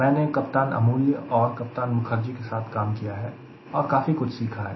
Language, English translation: Hindi, i work with few of them: captain amoolya, captain mukherjee, and huge number of things i am learned from them